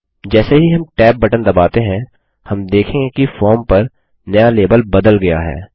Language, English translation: Hindi, As we press the tab key, we will notice the new label changes on the form